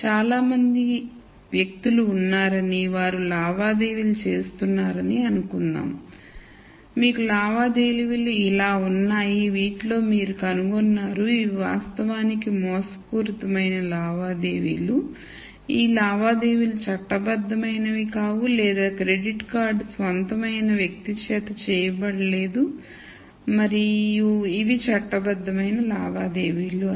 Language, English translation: Telugu, Let us assume that there are many people and they are making transactions and you have transactions listed like this and you nd out that of these, these were actually fraudulent transactions these were transactions that was not legal or was not made by the person who owns the credit card and these are transactions which are legal